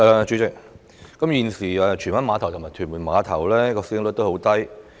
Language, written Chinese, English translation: Cantonese, 主席，荃灣碼頭和屯門碼頭現時的使用率偏低。, President the current utilization rates of Tsuen Wan Ferry Pier and Tuen Mun Ferry Pier have remained on the low side